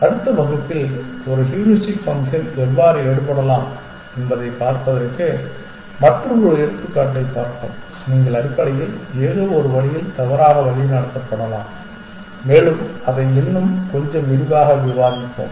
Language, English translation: Tamil, We will in the next class look at another example to see how a heuristic function can take, you can be misguided in some sense essentially and we will discuss that in the little bit more detail